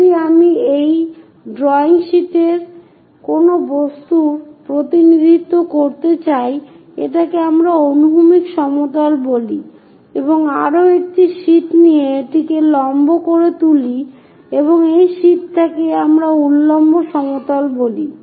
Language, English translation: Bengali, If I would like to represent any object on this drawing sheet, the drawing sheet, this is what we call horizontal plane and this one this is horizontal plane and take one more sheet make it perpendicular to that and that sheet what we call vertical plane